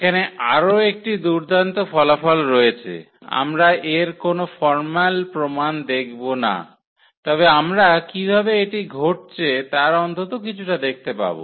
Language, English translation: Bengali, So, there is another nice result here we will not go through the formal proof, but we will see at least some intuition how this is happening